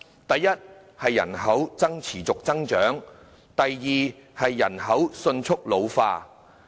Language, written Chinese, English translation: Cantonese, 第一，是人口持續增長；第二，是人口迅速老化。, The first one is the persistent growth in population; and the second one is rapid population ageing